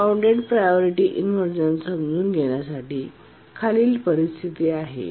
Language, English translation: Marathi, To understand unbounded priority inversion, let's consider the following situation